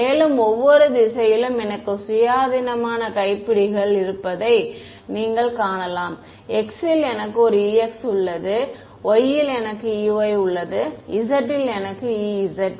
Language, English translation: Tamil, Further you can see that in each direction, I have independent knobs, in x I have e x, in y I have e y, in z I have e z right